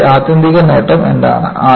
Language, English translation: Malayalam, And, what is the ultimate advantage of this